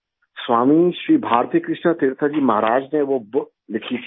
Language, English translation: Hindi, Swami Shri Bharatikrishna Tirtha Ji Maharaj had written that book